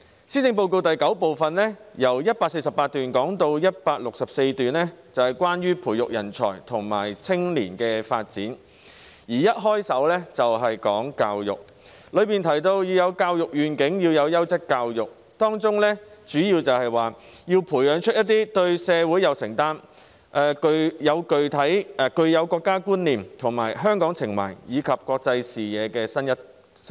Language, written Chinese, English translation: Cantonese, 施政報告第九部分第148段至第164段是關於培育人才和青年發展，當中一開首便談到教育，提到要有教育願景及優質教育，主要提出要培養對社會有承擔，具國家觀念、香港情懷和國際視野的新一代。, Paragraphs 148 to 164 of Part IX of the Policy Address are about nurturing talents and youth development . Education is mentioned at the very beginning and vision for education and quality education are explained . The gist is that we need to nurture our young people into quality citizens with a sense of social responsibility and national identity an affection for Hong Kong as well as an international perspective